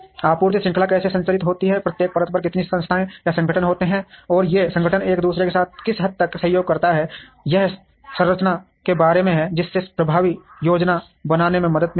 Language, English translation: Hindi, How the supply chain is structured, how many entities or organizations are there at each layer, and the extent to which these organizations cooperate with each other is about the structure, which would help in effective planning